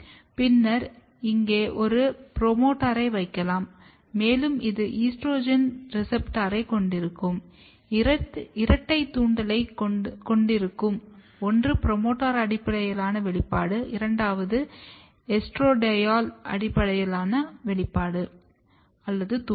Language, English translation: Tamil, And then you can put a promoter here, and since it has a estrogen receptor, you can have a double induction, one is the promoter based expression and the second is the estradiol based induction